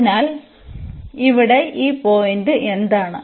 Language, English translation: Malayalam, So, what is this point here